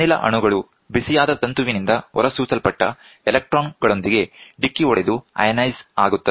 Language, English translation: Kannada, The gas molecules collide with the electrons emitted from the heated filament and becomes ionized